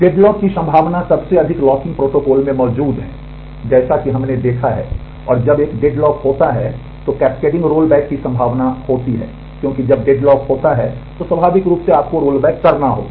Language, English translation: Hindi, There is a the potential for deadlock exists in most locking protocols, as we have seen and when a deadlock occurs there is a possibility of cascading roll back because, when it deadlock happens then naturally you will have to roll back